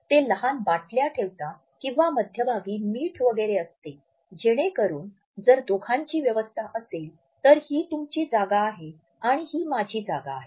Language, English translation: Marathi, They would put small ketchup bottles or may be salt shakers etcetera in the middle so, that if it is in arrangement for the two this is your space and this is my space